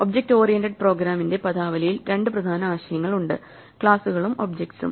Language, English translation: Malayalam, In the terminology of object oriented programming there are two important concepts; Classes and Objects